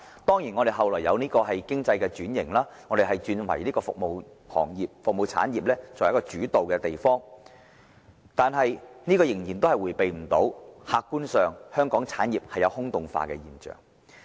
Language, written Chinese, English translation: Cantonese, 當然，香港後來出現經濟轉型，成為以服務產業為主導的地方，但這仍然無法避免香港產業"空洞化"的現象。, Although the economy of Hong Kong was later restructured to focus on the service sector the restructuring could not stop the hollowing out of Hong Kongs industries